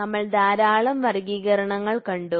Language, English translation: Malayalam, So, we have seen lot of classification